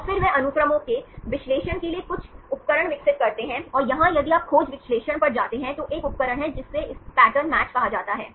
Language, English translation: Hindi, And then they develop some tools for analyzing sequences and here, if you go the search analysis, there is a tool called this pattern match